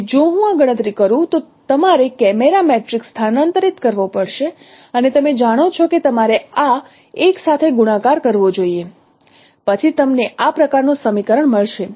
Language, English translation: Gujarati, So if I perform this computation you have to transpose the camera matrix and no you should multiply with this L then you will get this kind of this is equation, this is the equation of the plane